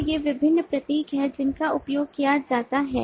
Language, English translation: Hindi, so these are the different symbols that are used, see major symbols